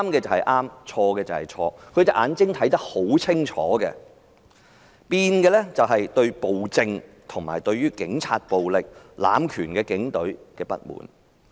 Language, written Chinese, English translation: Cantonese, 他們的眼睛是看得很清楚的，改變了的只是對暴政、警察暴力和濫權警隊的不滿。, They can clearly discern it . What has changed is their discontent with the tyranny police brutality and the power - abusing Police Force